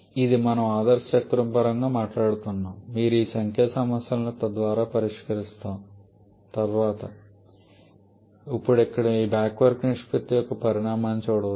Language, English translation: Telugu, And this is we are talking in terms of ideal cycle you will be solving some numerical problems later on where you can see the magnitude of this back work ratio